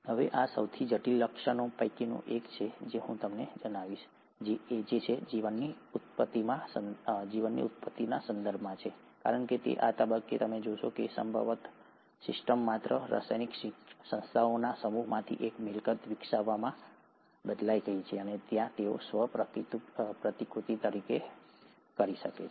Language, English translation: Gujarati, Now this is one of the most critical features, I would say, in terms of the origin of life, because it is at this stage you would find, that probably the system changed from just a set of chemical entities into developing a property where they could self replicate